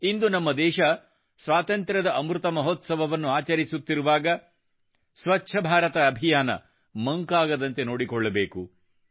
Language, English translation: Kannada, Today, when our country is celebrating the Amrit Mahotsav of Independence, we have to remember that we should never let the resolve of the Swachh Bharat Abhiyan diminish